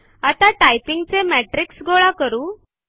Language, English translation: Marathi, Now let us collect the metrics of our typing